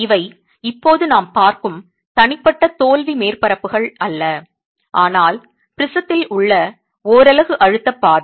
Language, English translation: Tamil, These are now not the individual failure surfaces that we are looking at but the stress path of the unit in the prism